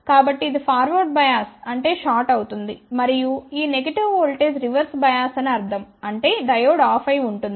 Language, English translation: Telugu, So, this will be forward bias means shorted and this negative voltage would mean that this is reversed bias that would mean diode is off